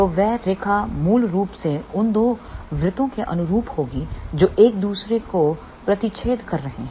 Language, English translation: Hindi, So, that line will basically be corresponding to the two circles which are intersecting each other